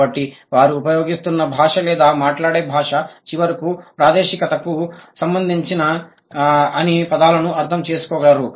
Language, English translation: Telugu, So, the language that they are using or they are speaking, they could finally understood all the terms related to the space